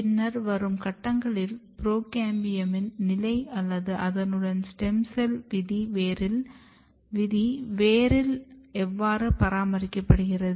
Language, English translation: Tamil, In later stages in the in the root if you look how the procambium state or stem cell fate is maintained or regulated